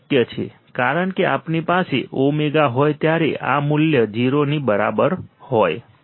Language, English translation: Gujarati, This is possible this is possible when we have omega into this value equals to 0